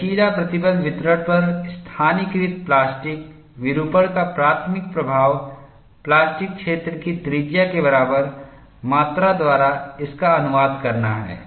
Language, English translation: Hindi, The primary influence of localized plastic deformation on the elastic stress distribution is to translate it by an amount, equal to the plastic zone radius